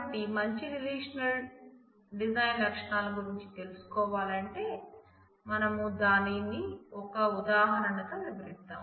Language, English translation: Telugu, So, to start with the features of good relational design, let us take an example